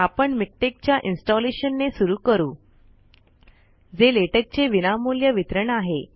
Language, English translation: Marathi, I will begin with the installation of Miktex, a free distribution of latex